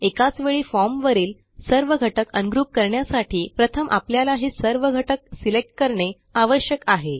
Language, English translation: Marathi, To ungroup all the form elements in one shot, we need to first select all the form elements